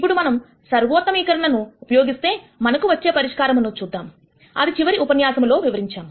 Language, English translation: Telugu, Now, let us see what is the solution that we get, by using the optimization concept that we described in the last lecture